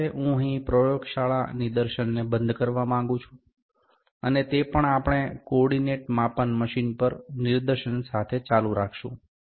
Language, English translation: Gujarati, With this, I like to close here the laboratory demonstration, also we will continue with the demonstration on the co ordinate measuring machine